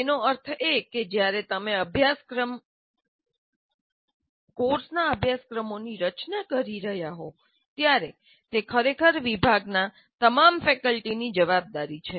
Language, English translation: Gujarati, That means when you are designing the curriculum or syllabus or courses of your core courses, it is actually the responsibility for all the faculty of the department